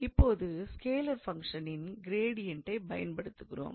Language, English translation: Tamil, Now, using this gradient of a scalar function